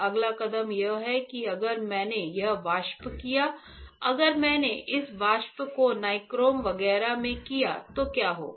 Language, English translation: Hindi, Next step is that if I did this vapor; if I did this vapor in nichrome etchant nichrome etchant, what will happen